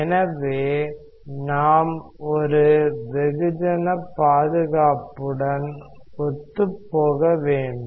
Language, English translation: Tamil, So, we should also be consistent with a mass conservation